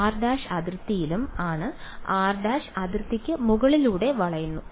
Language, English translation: Malayalam, R prime is also on the boundary r prime is looping over the boundary